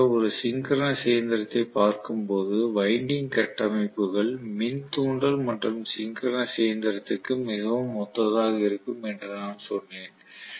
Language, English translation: Tamil, Normally when we are looking at a synchronous machine I told you that the winding structures are extremely similar for induction and synchronous machine right